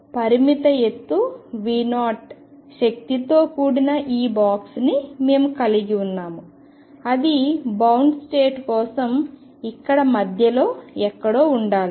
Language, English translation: Telugu, We have this box of finite height V 0 energy must be somewhere in between for a bound state